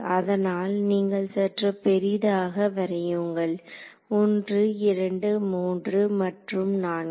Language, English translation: Tamil, So, you draw it little bit bigger here 1 2 3 and 4